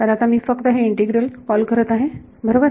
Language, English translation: Marathi, So, I am going to call this just this integral right